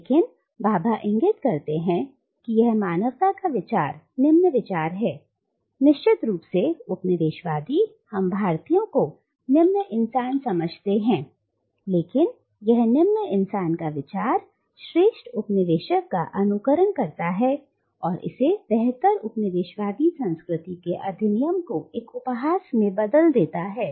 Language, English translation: Hindi, But Bhabha points out that this very idea of a lesser human being, of course the coloniser considered us Indians to be lesser human beings, but this very idea of a lesser human being mimicking the superior coloniser also turns the act into a sort of mockery of the superior coloniser’s culture